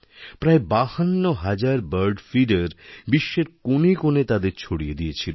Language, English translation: Bengali, Nearly 52 thousand bird feeders were distributed in every nook and corner of the world